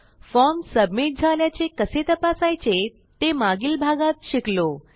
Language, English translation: Marathi, In the last one, we learnt how to check if our forms were submitted